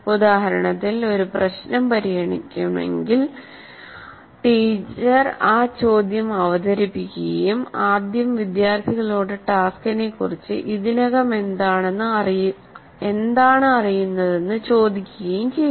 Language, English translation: Malayalam, For example, if a problem is to be solved, presents the problem, and first ask the students what is that they already know about the task